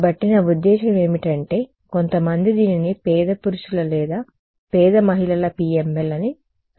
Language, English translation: Telugu, So, this is I mean some people call this a poor man’s or poor women’s PML ok